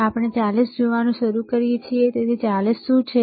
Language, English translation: Gujarati, And then we start looking at 40 so, what is 40